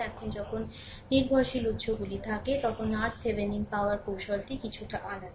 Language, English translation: Bengali, Now, this when dependent sources is there, technique of getting R Thevenin is slightly different